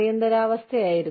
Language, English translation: Malayalam, There is an emergency